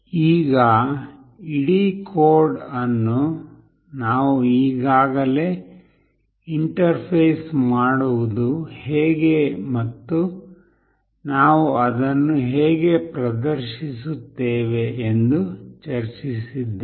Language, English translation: Kannada, So now, that I have already discussed the whole code how do we interface it and how do we display it